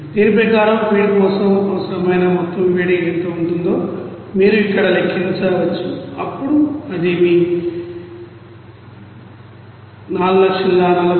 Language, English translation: Telugu, Accordingly you can calculate here what will be the total amount of heat required for the feed, then it will be coming as like your 4461676